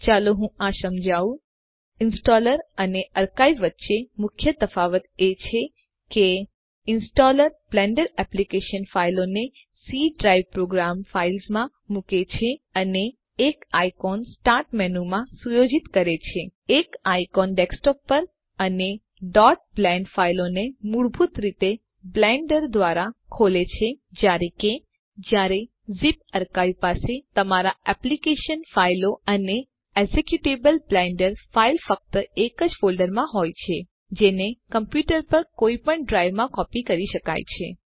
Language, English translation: Gujarati, Let me demonstrate The main difference between installer and archive is that The installer places the Blender application files in C DRIVE Program Files and sets up an icon in the start menu, an icon on the desktop, and opens .blend files with blender by default while the zip archive has all the application files and the executable Blender file in one single folder, which can be copied to any drive on the computer